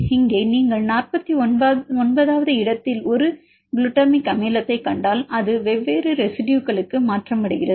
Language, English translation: Tamil, Here if you see a glutamic acid at position 49 which mutated to different residues